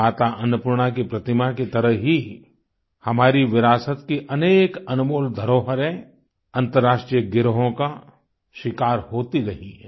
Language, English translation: Hindi, Just like the idol of Mata Annapurna, a lot of our invaluable heritage has suffered at the hands of International gangs